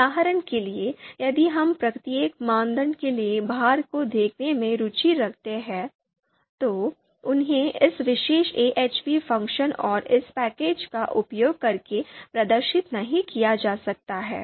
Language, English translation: Hindi, And for example if we are interested in looking at the weights for each criteria, what were the weights which were computed, so they have not been displayed, they cannot be displayed using this particular ahp function and this package